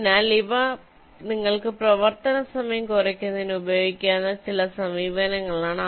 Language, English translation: Malayalam, ok, so these are some approaches you can use for reducing the running time and ah